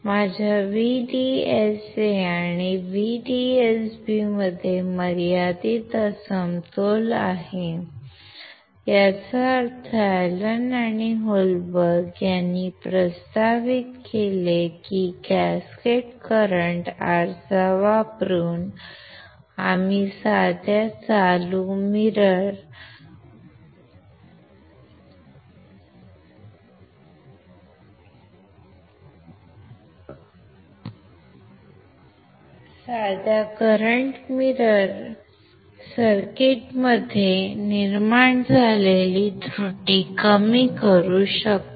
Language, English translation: Marathi, Even there is a finite mismatch between my VDSA and VDSB; that means, Allen or Holberg proposed that by using the cascaded kind of current mirror, we can reduce the error generated in the simplest current mirror circuits